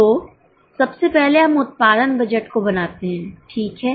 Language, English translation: Hindi, So, first of all, let us make production budget